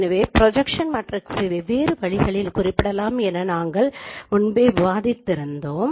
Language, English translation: Tamil, So as we have discussed that projection matrix can be represented in different ways